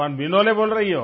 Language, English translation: Hindi, Is that Vinole speaking